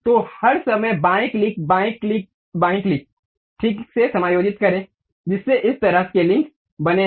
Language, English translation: Hindi, So, all the time left click, left click, left click, properly adjusting that has created this kind of links